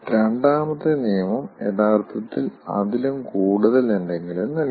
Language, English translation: Malayalam, second law gives something more